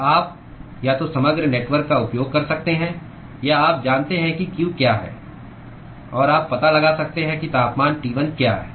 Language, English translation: Hindi, So, you can use either of overall networks or you know what q is and you can find out what the temperature T1 is